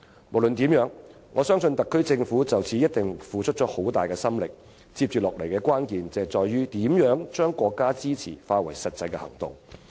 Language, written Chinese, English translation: Cantonese, 無論如何，我相信特區政府已就此付出很大心力，接下來的關鍵在於如何把國家的支持化為實際行動。, Anyway I believe the SAR Government has devoted enormous energies to this matter . The key to the next stage lies in the question of how to translate the countrys support into concrete actions